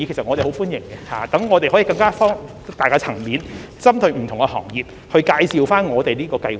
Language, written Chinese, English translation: Cantonese, 我們很歡迎這些會議，讓我們可以擴大接觸層面，針對不同行業介紹這項計劃。, We welcome these meetings which have enabled us to broaden our network of contact so that we can give briefings on PLGS targeted at different industries